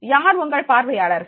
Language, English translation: Tamil, Who is your audience